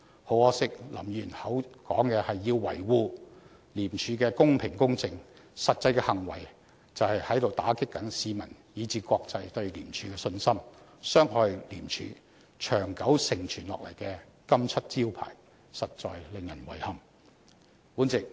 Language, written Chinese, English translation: Cantonese, 很可惜，林議員口說要維護廉署的公平、公正，但其實際的行為，卻是在打擊市民、甚至國際社會對廉署的信心，捐害廉署長久承傳下來的"金漆招牌"，實在令人遺憾。, It is such a great pity that while Mr LAM speaks of the need for upholding the fairness and impartiality of ICAC his act will instead deal a blow to the confidence of the public and even the international community in ICAC . This will damage the long - standing reputation of ICAC